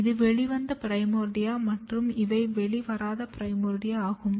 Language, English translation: Tamil, And if you look this is emerged primordia and these are the non emerged primordia